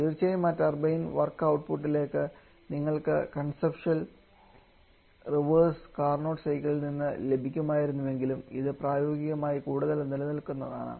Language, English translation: Malayalam, Of course that turbine going to work output that we could have got from that conceptual reverse Carnot cycle that you are not getting but still it is much more during practice